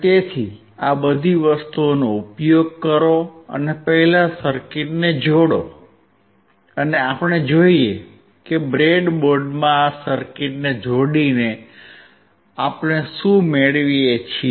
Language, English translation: Gujarati, So, use all these things and connect the circuit first and let us see what we get by connecting this circuit in the breadboard